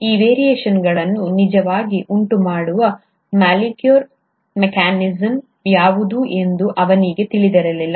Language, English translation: Kannada, He did not know what is the molecular mechanism which actually causes this variation